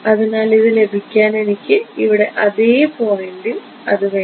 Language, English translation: Malayalam, So, in order to get this I also need at the same point over here I need this right